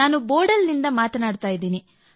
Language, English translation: Kannada, I am speaking from Bodal